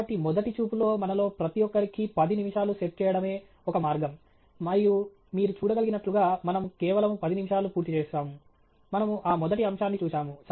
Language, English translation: Telugu, So, at first glance, one way to pace ourselves is to set about ten minutes for each of these topics, and as you can see, we have just about completed ten minutes, we have looked at that first topic